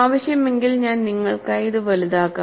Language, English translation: Malayalam, If necessary, I could also enlarge it for you